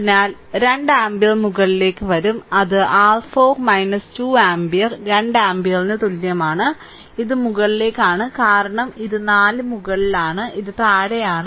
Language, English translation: Malayalam, So, resultant will be 2 ampere upward that is your 4 minus 2 ampere that is is equal to 2 ampere, it is upward right because this is 4 up, this is down